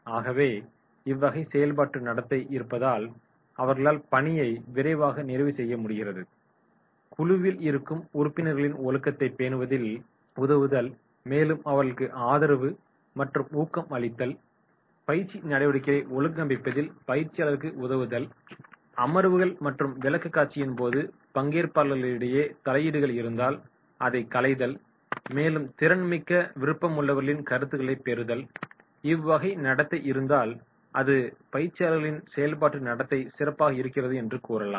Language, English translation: Tamil, So if this type of the functional behaviour is there that is completing the assignment and task, helping in maintaining the discipline in the group, giving support and encouragement, assisting the trainers in organising training activities very important, interventions during sessions and presentation and willingness and ability to provide the feedback, if this behaviour is there then we will say it is the functional behaviour of the trainees